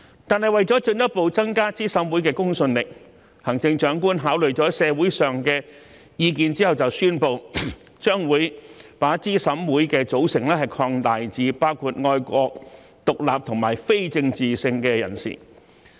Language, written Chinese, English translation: Cantonese, 但為了進一步增加資審會的公信力，行政長官考慮了社會上的意見後宣布，將會把資審會的組成擴大至包括愛國、獨立和非政治性的人士。, However taking into account the views in the community the Chief Executive announced that the composition of CERC will be expanded to include patriotic independent and apolitical individuals with a view to further enhancing the credibility of CERC